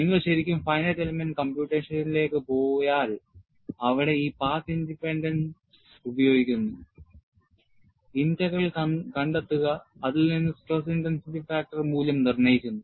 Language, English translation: Malayalam, If you really go to finite element computation, they use this path independence, find out J Integral, from that, determined the value of the stress intensity factor